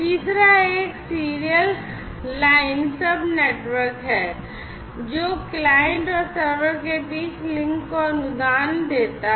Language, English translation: Hindi, And, the third one is basically the serial line sub network that basically grants the links between the client and the server